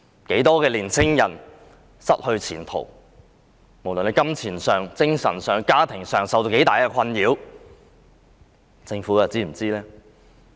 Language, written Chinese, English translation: Cantonese, 很多青年人失去前途，不論在金錢、精神和家庭上也受到很大困擾，政府又是否知道呢？, Many youngsters have lost their prospects and have to face tremendous stress in terms of money mental condition and family relationship . Does the Government know about that?